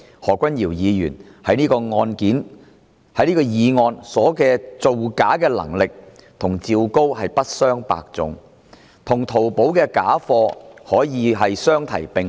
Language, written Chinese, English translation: Cantonese, 何君堯議員在這項議案的造假能力與趙高可謂不相伯仲，與淘寶的假貨可以相提並論。, This motion shows that the ability of Dr Junius HO to make things up is honestly on par with that of ZHAO Gao and its contents are comparable to those counterfeits on Taobao